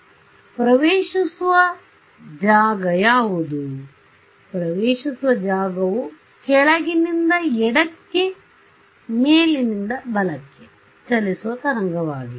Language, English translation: Kannada, So, what is the incident field, incident field is a wave travelling from bottom left to top right